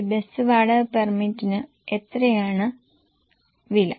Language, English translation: Malayalam, How much is a bus rent permit cost